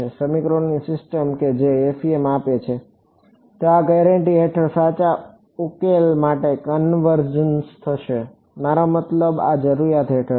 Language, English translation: Gujarati, The system of equations that FEM gives will converge to the correct solution under this guarantee I mean under this requirement